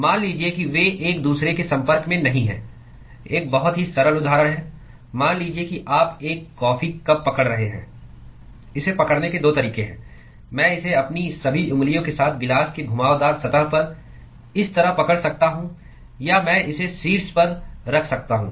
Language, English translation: Hindi, Supposing if they are not in contact with each other; a very simple example is, supposing you are holding a coffee cup, there are 2 ways of holding it: I could hold it like this with all my fingers on the curved surface of the tumbler or I could hold it just at the top